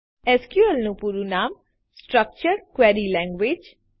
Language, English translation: Gujarati, SQL stands for Structured Query Language